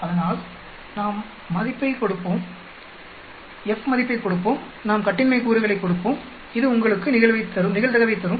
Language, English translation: Tamil, So, we will give the F value, we will give the degrees of freedom and it will give you the probability